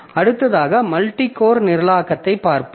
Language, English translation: Tamil, So, next we'll look into multi core programming